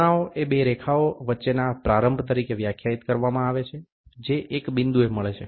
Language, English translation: Gujarati, Angle is defined as the opening between two lines which meets at a point